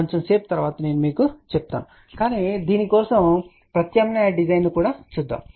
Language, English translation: Telugu, I will tell you that little later on , but let us just look at the alternate design for this also